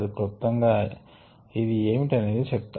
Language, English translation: Telugu, ok, let me briefly tell you what it is